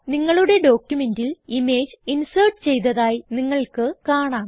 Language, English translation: Malayalam, You will see that the image gets inserted into your document